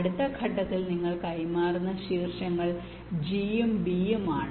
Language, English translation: Malayalam, the vertices you are exchanging are g and b